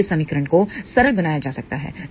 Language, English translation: Hindi, Now, this equation can be further simplified